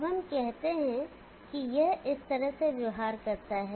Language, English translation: Hindi, Now let us say it behaves in this fashion